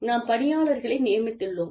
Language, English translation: Tamil, We have recruited employee